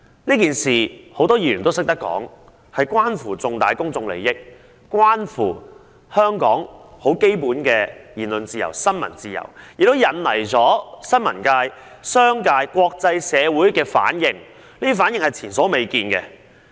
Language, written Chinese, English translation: Cantonese, 正如多位議員指出，這件事件關乎重大公眾利益及香港的基本言論自由和新聞自由，並且引起新聞界、商界和國際社會前所未見的反應。, As rightly pointed out by a number of Members this incident involves significant public interests and Hong Kongs fundamental freedom of speech and freedom of the press; and it has drawn unprecedented reaction from the press business sector and international community